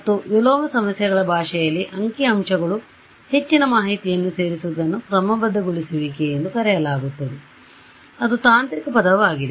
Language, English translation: Kannada, And in the language of inverse problems this or even statistics this adding more information is called regularization that is the technical word for it ok